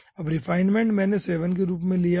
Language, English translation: Hindi, now, refinement: i have kept as 7 what is refinement level